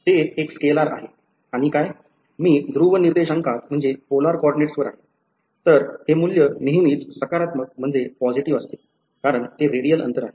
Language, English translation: Marathi, It is a scalar and what is; I’m in polar coordinates; so this value is always positive, it is because it is distance radial distance right